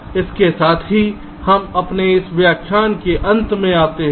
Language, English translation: Hindi, ok, so with this we come to the end of this lecture, thank you